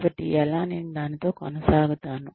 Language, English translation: Telugu, So, how do, I keep up with that